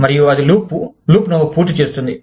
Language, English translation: Telugu, And, that completes the loop